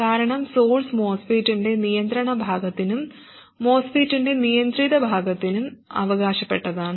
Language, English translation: Malayalam, This you cannot remove because source terminal belongs to the controlling part of the MOSFET as well as the controlled part of the MOSFET